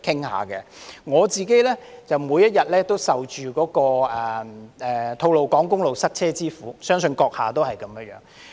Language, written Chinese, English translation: Cantonese, 我每天都受吐露港公路塞車之苦，相信閣下也一樣。, I suffer traffic congestion on the Tolo Highway each and every day and I believe you do too